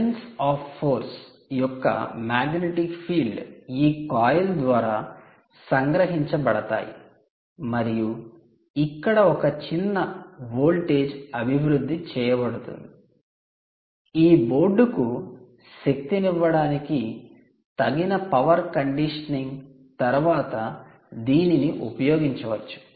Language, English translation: Telugu, the magnetic fields of line lines of force have been cut, captured by this coil, and essentially a small voltage is developed here which can be used, after suitable power conditioning, to actually power this board ah, um and all the energy is actually stored on this capacitor